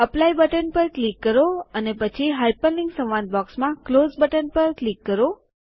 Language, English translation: Gujarati, Click on the Apply button and then click on the Close button in the Hyperlink dialog box